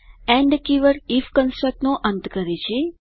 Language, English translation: Gujarati, The end keyword ends the if construct